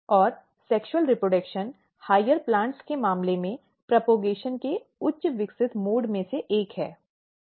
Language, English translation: Hindi, And sexual reproduction is one of the highly evolved mode of propagation in case of higher plants